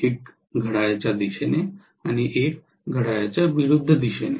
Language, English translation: Marathi, One in clockwise, one in anti clockwise